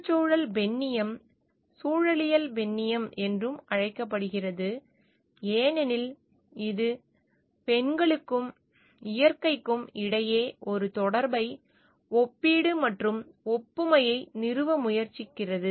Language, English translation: Tamil, Ecofeminism also called ecological feminism, because it tries to establish a connection a comparison and analogy between women and nature